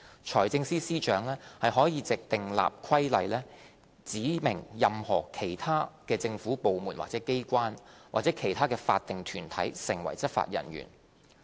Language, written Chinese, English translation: Cantonese, 財政司司長可藉訂立規例，指明任何其他政府部門或機關或其他法定團體成為執法人員。, The Financial Secretary may make regulations to specify any other department or agency of the Government or any other statutory body as a law enforcement officer